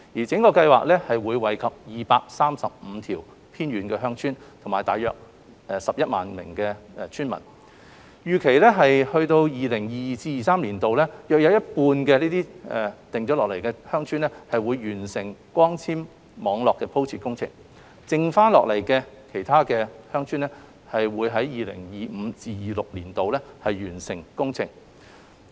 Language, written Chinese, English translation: Cantonese, 整個計劃會惠及235條偏遠鄉村和大約11萬名村民，預計至 2022-2023 年度有約一半鄉村會完成光纖網絡鋪設工程；餘下鄉村會於 2025-2026 年度完成工程。, The entire project will benefit 235 villages in remote areas and about 110 000 villagers . The laying of fibre - based networks for about half of the villages is expected to be completed by 2022 - 2023 and the rest by 2025 - 2026